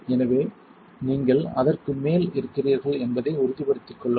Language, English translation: Tamil, So, make sure you are on top of that